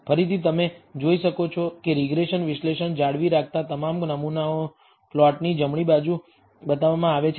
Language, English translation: Gujarati, Again, you can see that the regression analysis, maintain retaining all the samples is shown on the right hand side of the plot